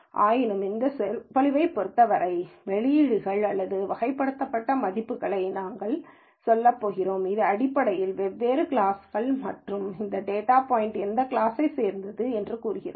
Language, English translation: Tamil, Nonetheless as far as this lecture is concerned, we are going to say the outputs or categorical values, which basically says different classes and what class does this data point belong to